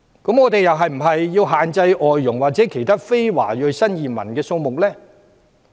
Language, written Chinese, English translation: Cantonese, 那我們是否又要限制外傭或其他非華裔新移民數目？, Shall we also restrict the number of foreign domestic helpers and other non - Chinese new arrivals in Hong Kong?